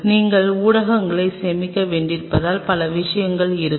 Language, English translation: Tamil, Because you have to store mediums will factors several things